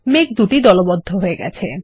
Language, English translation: Bengali, The clouds are grouped